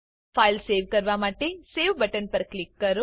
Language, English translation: Gujarati, Now, let us save the file by clicking on the Save button